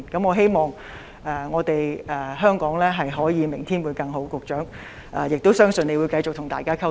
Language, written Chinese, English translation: Cantonese, 我希望香港明天會更好，亦相信局長會繼續與大家保持溝通。, I hope that Hong Kong will have a better tomorrow and I believe the Secretary will continue to communicate with Members